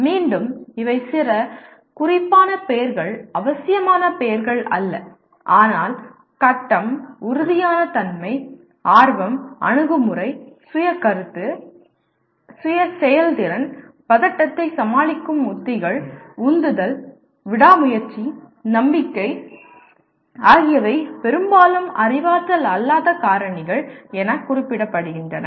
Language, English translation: Tamil, Again these are some indicative names, not necessarily exact names but grit, tenacity, curiosity, attitude self concept, self efficacy, anxiety coping strategies, motivation, perseverance, confidence are some of the frequently referred to as non cognitive factors